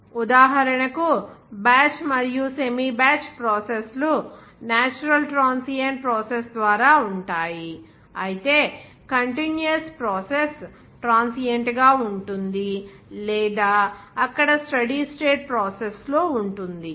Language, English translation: Telugu, Example batch and semi batch processes are by a natural transient process, whereas continuous process can be transient or at steady state process there